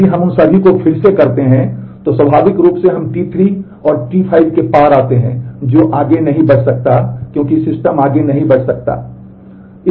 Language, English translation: Hindi, If we redo all of them then naturally we come across T 3 and T 5 which cannot proceed further because the system had could not proceed further because